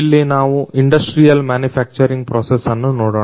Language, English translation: Kannada, Here we take a look into the industrial manufacturing process